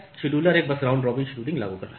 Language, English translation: Hindi, The scheduler is simply applying a round robin scheduling